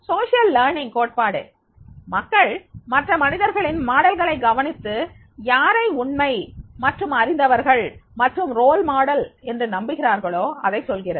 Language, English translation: Tamil, Social learning theory emphasized that people learn by observing other person models whom they believe are credible and knowledgeable, role models